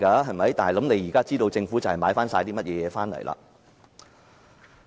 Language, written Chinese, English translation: Cantonese, 現在大家便知道政府買了甚麼回來。, Now we can see what the Government has bought